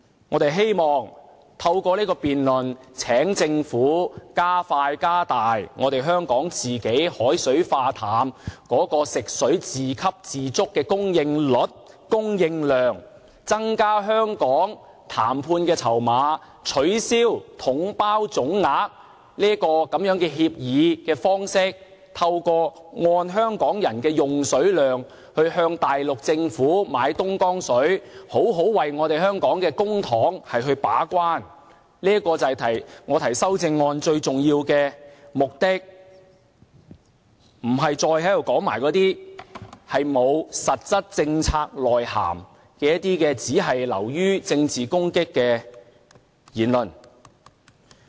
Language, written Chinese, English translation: Cantonese, 我則希望透過這場辯論請政府加快和加大香港的海水化淡、食水自給自足的供應率和供應量，增加香港的談判籌碼，取消統包總額的協議方式，透過按香港人的用水量，向大陸政府買東江水，為香港的公帑好好把關，這就是我提出修正案最重要的目的，而不是說那些沒有實質政策內涵、流於政治攻擊的言論。, I hope the Government will expedite and augment the scale of Hong Kongs desalination plant project and self - sufficiency in potable water supply so as to build up our bargaining chips to abolish the package deal lump sum approach in concluding the procurement agreement and to purchase the Dongjiang water from the Mainland Government according to the quantities of consumption as well as to perform the gate - keeping role in the spending of our public funds . All of these are the most important objectives for me to propose my amendment . My objectives have nothing to do with those remarks with no substance in terms of policies and contents